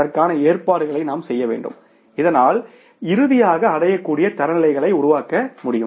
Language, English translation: Tamil, We have to make provisions for that so that finally the attainable standards can be worked out